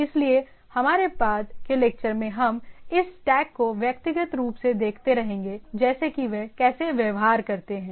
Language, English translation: Hindi, So, that in our subsequent lectures we will go on looking at this stack individually like that how they behave